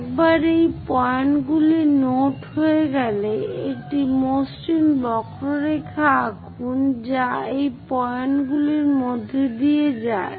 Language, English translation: Bengali, Once these points are noted down draw a smooth curve which pass through these points